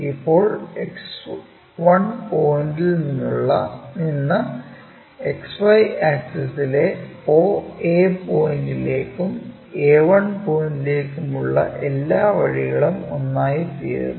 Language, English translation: Malayalam, Now, with respect to XY axis oa point from X 1 point all the way to a 1 point becomes one and the same